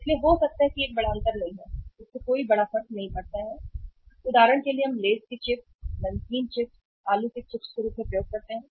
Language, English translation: Hindi, So it maybe uh mathlab it is not a big difference it does not make a big difference that uh for example we use the say Lays as a chips, salted chips if we potato chips